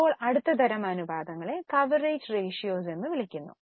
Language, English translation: Malayalam, Now the next type of ratios are known as coverage ratios